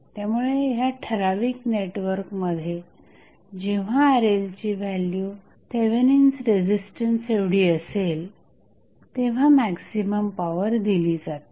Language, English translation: Marathi, So, in this particular network, when the value of Rl is equal to Thevenin resistance, maximum power transfer happens